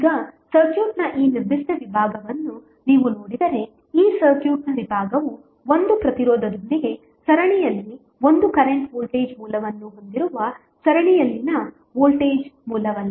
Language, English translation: Kannada, Now, if you see this particular segment of the circuit this segment of circuit is nothing but voltage source in series with 1 current voltage source in series with 1 resistance you can apply source transformation so what will happen